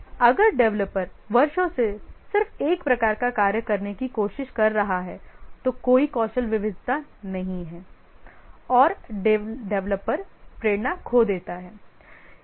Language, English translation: Hindi, If the developer is trying to do just one type of thing over the years there is no skill variety and the developer loses motivation